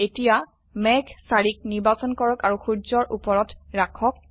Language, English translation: Assamese, Now, lets select cloud 4 and place it over the sun